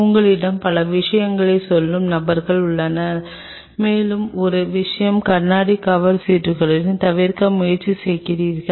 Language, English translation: Tamil, There are people who will tell you several things and one more thing try to avoid with glass cover slips